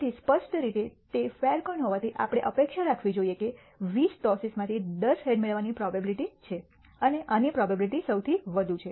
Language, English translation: Gujarati, So, clearly since it is a fair coin, we should expect that out of the 20 tosses, 10 heads are most likely to be obtained and this has the highest probability